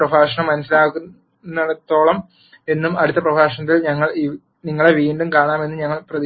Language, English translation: Malayalam, I hope this lecture was understandable and we will see you again in the next lecture